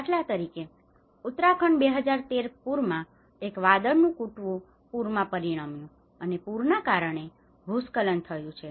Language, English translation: Gujarati, Like for instance in Uttarakhand 2013 flood, a cloudburst have resulted in the floods, and floods have resulted in the landslides